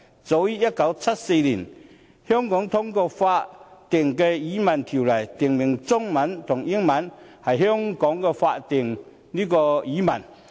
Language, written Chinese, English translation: Cantonese, 早於1974年，香港通過了《法定語文條例》，訂明中文和英文是香港的法定語文。, Hong Kong passed the Official Languages Ordinance in 1974 stipulating Chinese and English as Hong Kongs statutory languages